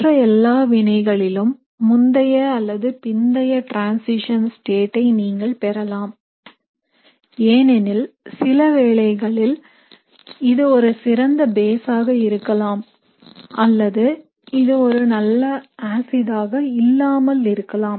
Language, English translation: Tamil, In all the other cases, you would get an early or late transition state because in some cases, this would be such a good base or rather this will not be a great acid